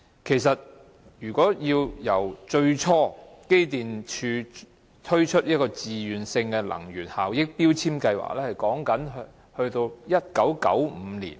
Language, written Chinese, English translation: Cantonese, 機電工程署最初推出自願性能源效益標籤計劃是在1995年。, The Electrical and Mechanical Services Department first launched a Voluntary Energy Efficiency Labelling Scheme in 1995